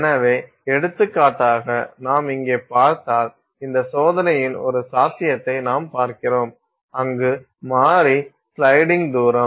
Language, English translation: Tamil, So, for example, if you see here we are looking at one possibility of this experiment where the variable is the sliding distance